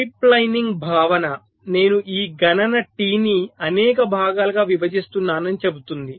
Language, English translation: Telugu, now the concept of pipe lining says that i am splitting this computation t into several parts